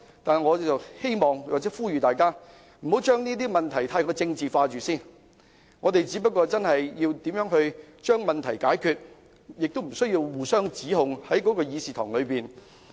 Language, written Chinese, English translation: Cantonese, 但是，我希望並呼籲大家，不要將問題太政治化，我們需要將問題解決，亦不需要在議事廳內互相指控。, Yet I would like to urge Honourable colleagues not to politicize the problem . We have to solve the problem but we should not hurl criticisms at each other in the Chamber